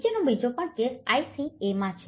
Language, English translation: Gujarati, The second, the following case is also in Ica